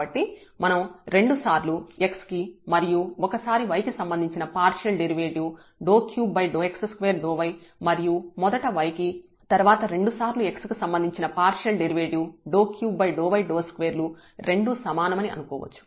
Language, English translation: Telugu, So, we can assume that this partial derivative with respect to x 2 times and then partial derivative with respect to y or first partial derivative y and then 2 times with respect to x they are equal